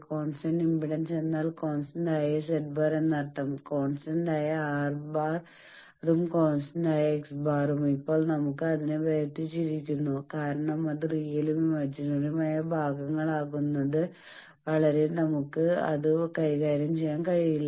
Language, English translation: Malayalam, Constant impedance means constant Z bar that means, both constant R bar and constant X bar, now we have separated it because unless and until we get it into real and imaginary parts we cannot handle it that is why these two